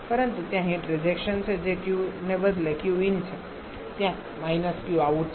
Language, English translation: Gujarati, But there is heat rejection that is Q instead of Q in there is minus of Q out